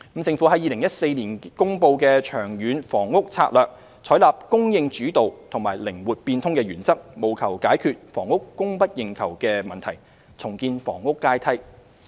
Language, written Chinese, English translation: Cantonese, 政府在2014年公布《長遠房屋策略》，採納"供應主導"及"靈活變通"的原則，務求解決房屋供不應求的問題，重建房屋階梯。, The Government announced the Long Term Housing Strategy LTHS in 2014 to address the problem of housing demand - supply imbalance and rebuild the housing ladder under the supply - led and flexible principles